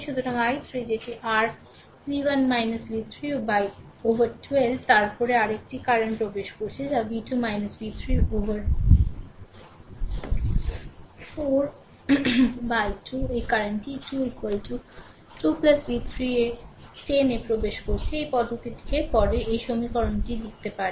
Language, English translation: Bengali, So, i 3 that is your v 1 minus v 3 upon 12, then another current is entering that is v 2 minus v 3 upon 4 this one this 2 current are entering is equal to 2 plus v 3 upon 10 this way you can write the equation those things are there later